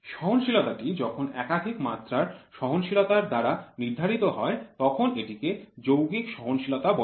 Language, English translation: Bengali, The tolerance is determined by establishing tolerance on more than one dimension it is known as compound tolerance